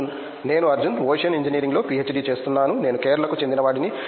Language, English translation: Telugu, I am Arjun, I am doing PhD in Ocean Engineering and I am from Kerala